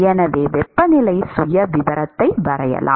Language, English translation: Tamil, So, let us try to sketch the temperature profile